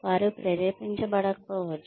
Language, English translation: Telugu, They may not motivate